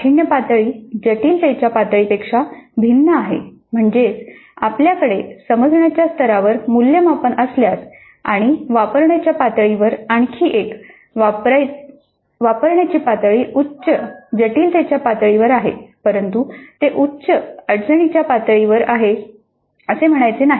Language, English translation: Marathi, That is if you have got an assessment item at the type at the level of understand and another one at the level of apply applies at higher complexity level but that is not to say that it is at higher difficulty level